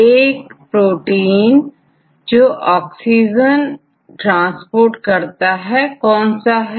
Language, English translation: Hindi, So, which what is the protein involved in this transport oxygen transport